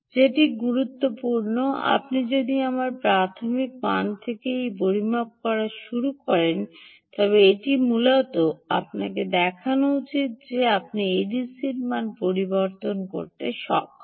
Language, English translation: Bengali, what is important is, if you start making a measurement, ah from my initial value, it should essentially show that you are able to ah see a change in the a d c value